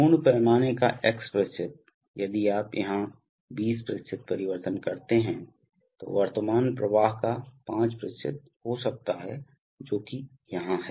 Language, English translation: Hindi, x% of full scale, so if you make a 20% change here then may be 5% of the current flow which is here, will take place